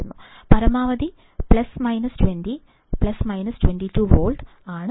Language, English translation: Malayalam, Maximum is plus minus 20, plus minus 22 volts